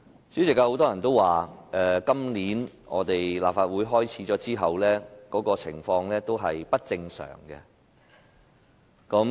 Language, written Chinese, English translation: Cantonese, 主席，有很多人都說，新一個立法會會期開始後，會議的情況是不正常的。, President many people have said that since the commencement of the new session of the Legislative Council the conditions of meetings have been abnormal